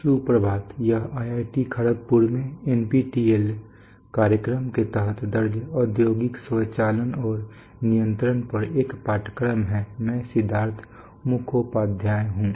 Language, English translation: Hindi, Good morning this is a course on industrial automation and control recorded under the NPTEL program at IIT KHARAGPUR I am Siddhartha Mukhopadhyay